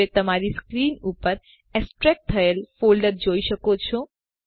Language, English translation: Gujarati, Now you can see the extracted folder on your screen